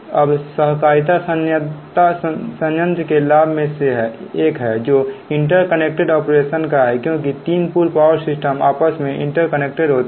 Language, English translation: Hindi, now, cooperative assistance is one of the planned benefits of interconnected operation, because when three pool power systems are interconnected together